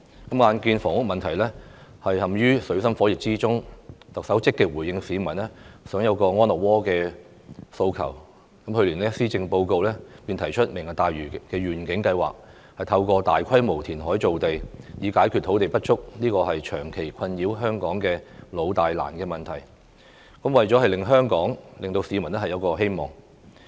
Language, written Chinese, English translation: Cantonese, 眼見房屋問題陷於水深火熱之中，特首積極回應市民想有個安樂窩的訴求，去年施政報告便提出"明日大嶼願景"，透過大規模填海造地解決土地不足這個長期困擾香港的老、大、難問題，以令香港、令市民有新希望。, In view of the pressing housing issue the Chief Executive has responded proactively to peoples housing demand by proposing the Lantau Tomorrow Vision in the Policy Address last year in order to address the long - standing difficult problem of land shortage and re - ignite peoples hope through large - scale reclamation